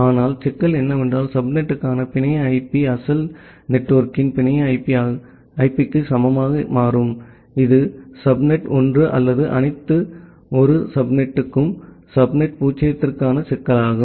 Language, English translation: Tamil, But, the problem is that the network IP for the subnet becomes equal to the network IP of the original network that is the problem for subnet zero for subnet one or all one subnet